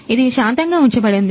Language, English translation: Telugu, Keep it percent